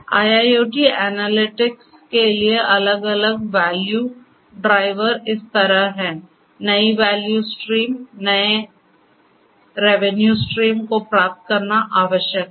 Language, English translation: Hindi, The different value drivers for IIoT analytics are like this, that you know it is required to derive new value streams, new revenue streams